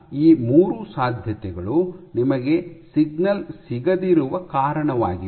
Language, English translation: Kannada, So, these 3 are the possibilities why you may not be getting the signal